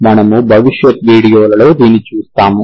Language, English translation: Telugu, That we will see in the next videos